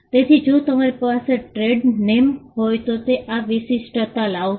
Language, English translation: Gujarati, So, you could have trade names which will bring this uniqueness